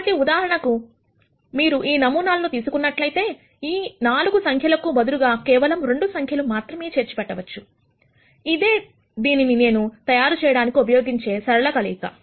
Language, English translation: Telugu, So, for example, if you take this sample, instead of storing all the 4 numbers, I could just store 2 numbers, which are the linear combinations that I am going to use to construct this